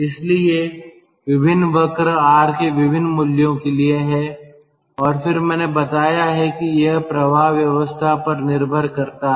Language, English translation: Hindi, so different curves are for different values of r, and then i have told that it depends on the flow arrangement